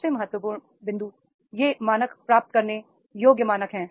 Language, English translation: Hindi, The most important point is these standards are achievable standards